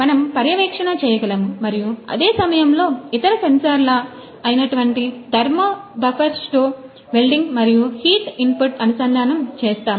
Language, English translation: Telugu, We can one monitor and on the same time we have also integrated other sensors such as or thermo buffersto the wielding and the heat input